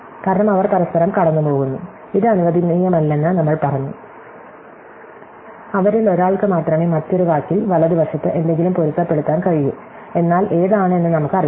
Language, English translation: Malayalam, because, they will cross, this we said not allowed, so only one of them can match something to the right on the other word, but we do not know which one